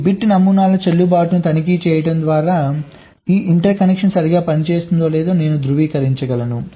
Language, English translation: Telugu, so by checking this, by checking the validity of this bit patterns, i can verify whether this interconnection is working correctly or not